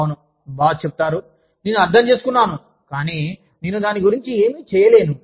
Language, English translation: Telugu, Boss says, yes, i understand, but, i cannot do anything about it